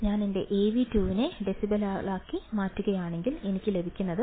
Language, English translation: Malayalam, If I convert my Av2 into decibels, I will have 20 log 4